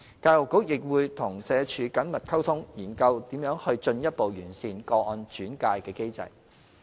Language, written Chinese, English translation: Cantonese, 教育局亦會與社署緊密溝通，研究如何進一步完善個案轉介的機制。, The Education Bureau will maintain close communication with SWD to explore how to further enhance the case referral mechanism